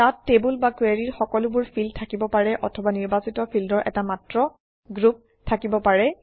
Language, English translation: Assamese, They can also contain all the fields in the table or in the query, or only a selected group of fields